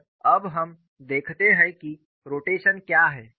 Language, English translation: Hindi, And now we look at what is rotation